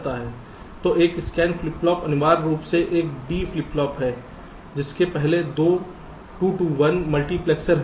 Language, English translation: Hindi, so a scan flip flop is essentially a d flip flop with a two to one multiplexer before it